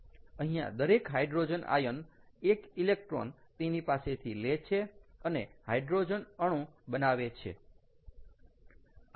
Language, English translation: Gujarati, here each hydrogen ion takes one electron from that and becomes hydrogen atom